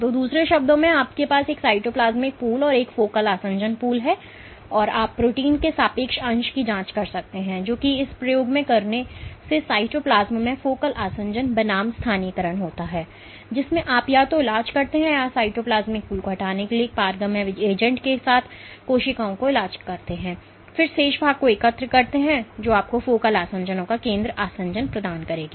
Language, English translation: Hindi, So, in other words you have a cytoplasmic pool and a focal adhesion pool, and you can probe of the relative fraction of the protein which is localizing at focal adhesion versus in the is in the cytoplasm by doing this experiment, in which you either treat them or treat the cells with a permeableizing agent to remove the cytoplasmic pool and then collect the remaining contents which will give you the focal adhesion pool of the focal adhesions